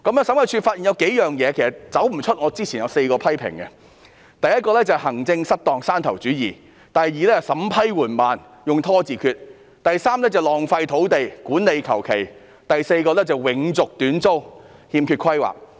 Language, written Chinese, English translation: Cantonese, 審計處發現數個問題，其實離不開我之前作出的4個批評：第一，行政失當、山頭主義；第二，審批緩慢，用"拖字訣"；第三，浪費土地、管理馬虎；第四，永續短租、欠缺規劃。, The Audit Commission has identified a number of problems which are actually the four criticisms made by me earlier . First maladministration and fiefdom . Second slow vetting process and delaying tactics adopted